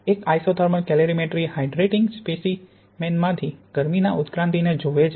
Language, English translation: Gujarati, An isothermal calorimetry looks at the heat evolution from a hydrating sample